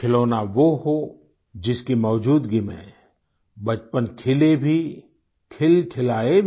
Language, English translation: Hindi, Toys should be such that in their presence childhood blooms and smiles